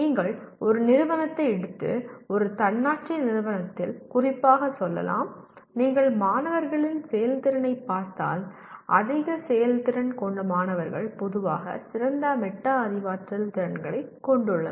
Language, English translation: Tamil, You take an institute and let us say in an autonomous institute especially, if you look at the performance of the students, high performing students generally have better metacognitive skills